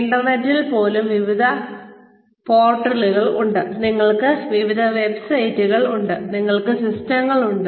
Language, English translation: Malayalam, Even on the internet, you have various portals ,you have various websites,you have systems